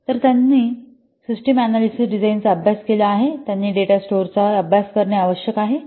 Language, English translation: Marathi, So, those who have studied system analysis design terms, you must have studies some data stores